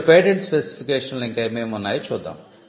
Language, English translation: Telugu, Now, let us see what else is contained in the patent specification